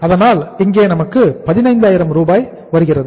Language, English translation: Tamil, So we are getting here 15,000